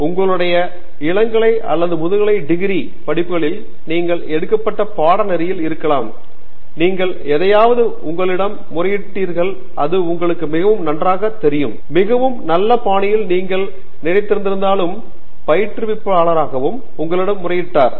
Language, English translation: Tamil, May be in your undergraduate or postgraduate studies there was a course that you picked up and there was something you did which really appeal to you maybe it was thought to you in a very well, very nice fashion and that instructor also appeal to you